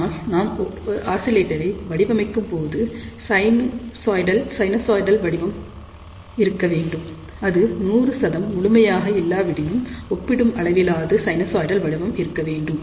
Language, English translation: Tamil, But when we are designing an oscillator, we would like to have a sinusoidal waveform, if not 100 percent pure, relatively pure sinusoidal waveform